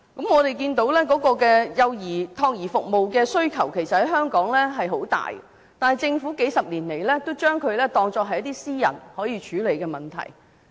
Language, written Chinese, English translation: Cantonese, 我們看到香港託兒服務的需求很大，但政府數十年來也將之當作是私人可以處理的問題。, We have seen a huge demand for child care services in Hong Kong but for several decades in the past the Government has treated it as a problem that can be addressed by the private sector